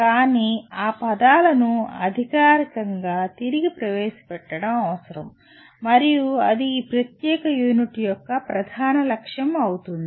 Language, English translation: Telugu, But, it is necessary to formally get reintroduced to those words and that will be the major goal of this particular unit